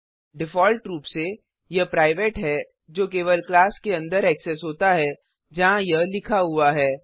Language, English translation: Hindi, By default it is private, that is accessible only within the class where it is written